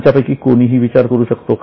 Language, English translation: Marathi, Is any one of you able to think